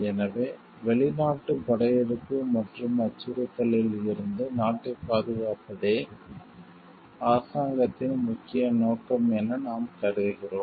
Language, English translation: Tamil, So, if we feel like the government s main interest lies in protecting the country from foreign invasion and threat